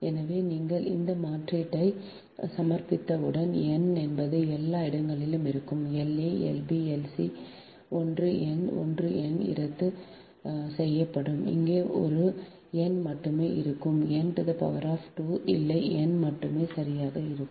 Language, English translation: Tamil, so as soon as you submit substitute here that n will be everywhere: l a, l, b, l, c, one n, one n will be cancel here, only one n will be remained, not n square, only n will be remaining right